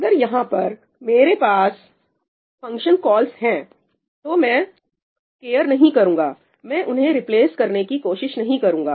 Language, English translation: Hindi, If I have function calls over here , I would not care, right, I would not care trying to replace them